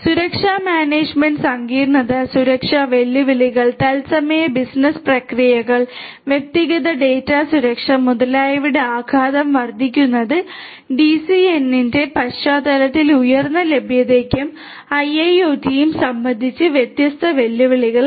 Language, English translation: Malayalam, Then increase in the complexity of security management, impacting impacts due to security challenges, real time business processes, personal data safety, etcetera are different challenges with respect to high availability and IIoT in the context of DCN